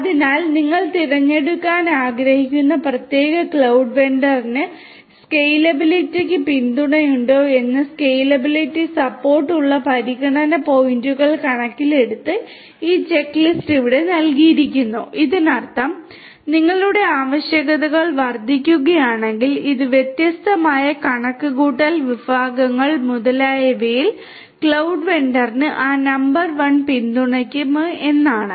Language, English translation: Malayalam, So, this checklist is given over here taking into consideration points such as scalability support whether the particular cloud vendor that you want to choose has support for scalability; that means, if you have dynamically if your increase you know requirements increase and so, on in terms of these different computational resources etc